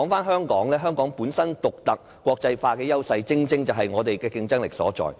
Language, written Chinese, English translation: Cantonese, 香港本身獨特、國際化的優勢，正正是我們競爭力所在。, Our uniqueness and cosmopolitan nature are our advantages or to be precise the very source of our competitiveness